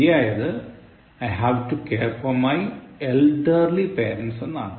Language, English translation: Malayalam, The correct form is, I have to care for my elderly parents